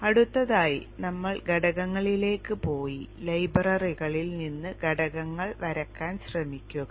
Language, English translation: Malayalam, Next we go to the components and try to draw the components from the libraries